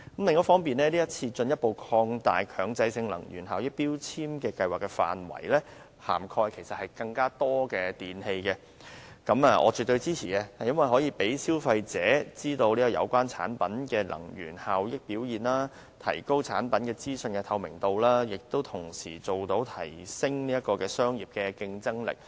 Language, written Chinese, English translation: Cantonese, 另外，這次進一步擴大強制性標籤計劃的範圍，涵蓋更多電器，我絕對支持，因為可以讓消費者知道有關產品的能源效益表現，提高產品資訊的透明度，亦同時提升商品的競爭力。, Also I fully support the current extension of the coverage of MEELS to include more types of electrical appliances thereby enabling consumers to know the energy efficiency performance of the products concerned enhancing the transparency of product information and at the same time increasing the competitiveness of the products